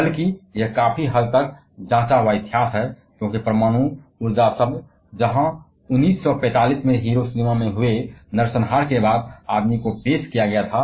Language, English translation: Hindi, Rather it has a quite a way of checkered history, because the term nuclear energy where introduced to the man kind only after that massacre at Hiroshima in 1945